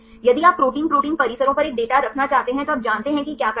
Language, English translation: Hindi, If you want to have a data on protein protein complexes you know what to do